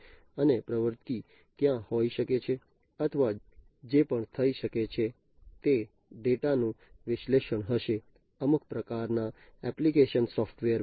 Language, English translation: Gujarati, And actuation may be there or even what might so happen is the data would be the analysis of the data would be displayed in some kind of application software